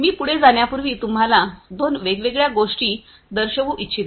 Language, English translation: Marathi, So, before I go any further I would like to show you two different things